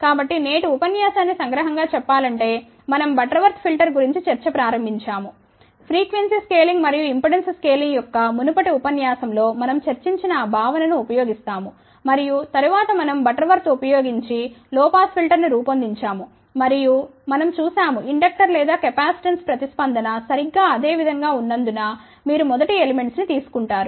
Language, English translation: Telugu, So, just to summarize today's lecture we started discussion about the Butterworth filter, we use that concept which we had discuss in the previous lecture of frequency scaling as well as impedance scaling and then we designed a low pass filter using Butterworth and we saw that whether you take first element as inductor or capacitance response remains exactly same